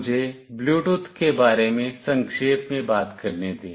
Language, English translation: Hindi, Let me very briefly talk about Bluetooth